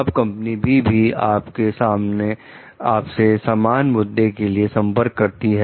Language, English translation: Hindi, Now, company B contacts you with the same issue